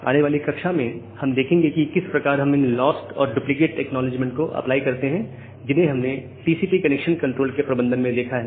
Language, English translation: Hindi, In the next class we have we’ll see how we apply this loss or duplicate acknowledgement that we have seen here for the management of TCP congestion control